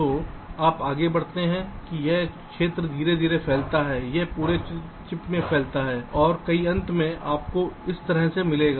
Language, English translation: Hindi, so you proceed, this region slowly spreads, it spreads across the whole chip and many